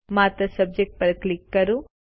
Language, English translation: Gujarati, Simply click on Subject